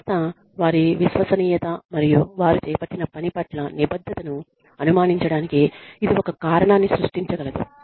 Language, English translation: Telugu, That can create a reason, for the organization, to doubt their credibility and commitment to the work, that they have undertaken